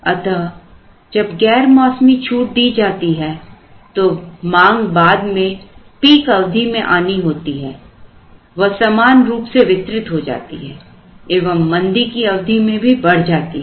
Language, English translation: Hindi, So, when off season discounts are given the demand which is going to happen later in a peak period is going to be spread out evenly so that the demand during the lean period also goes up